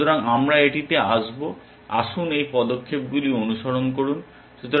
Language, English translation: Bengali, So, we will come to this so, let us follow these steps